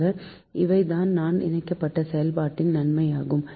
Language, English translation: Tamil, so these are the major advantage of interconnected operation